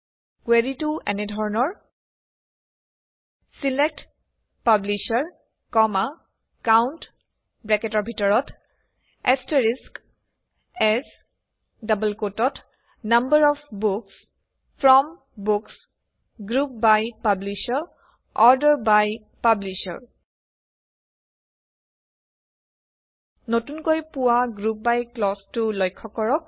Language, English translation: Assamese, Here is the query: SELECT Publisher, COUNT(*) AS Number of Books FROM Books GROUP BY Publisher ORDER BY Publisher Notice the new GROUP BY clause